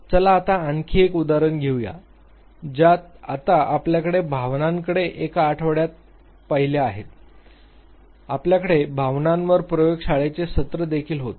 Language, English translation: Marathi, Let us take another example we have the now looked at the emotion in one of the weeks, we also had a lab session on emotion